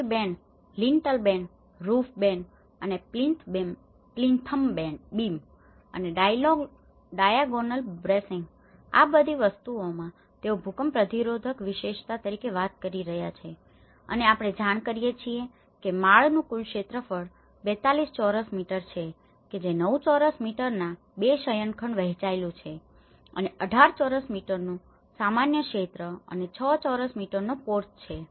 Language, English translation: Gujarati, The sill band, the lintel band, the roof band and the plinth beam and the diagonal bracing all these things they are talking about the earthquake resistant futures and as we inform the gross floor area is about 42 square meters divided into 2 bedrooms 9 square meter each and a common area of 18 square meter and a porch of 6 square meter